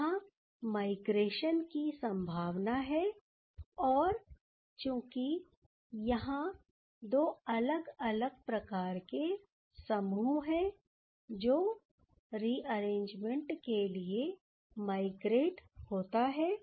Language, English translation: Hindi, And there is possibility of migration and as there are two different type of groups, which can migrate through this for this rearrangement